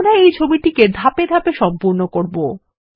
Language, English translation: Bengali, We shall complete this picture in stages